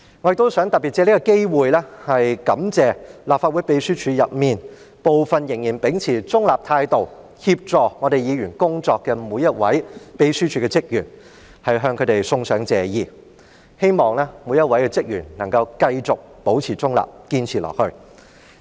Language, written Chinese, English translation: Cantonese, 我亦想特別藉此機會向立法會秘書處內，部分仍然秉持中立態度協助議員工作的每一位秘書處職員，送上謝意，我希望他們每一位都能夠繼續保持中立，堅持下去。, Also I especially wish to take this opportunity to express my thanks to every one of those Legislative Council Secretariat staff who still keep a neutral attitude while assisting Members with their duties . I hope every one of them can continue to maintain their neutrality and hold their own